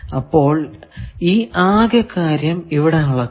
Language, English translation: Malayalam, So, this whole thing it is measuring